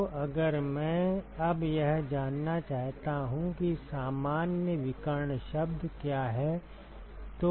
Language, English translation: Hindi, So, if I now want to find out what is the general diagonal term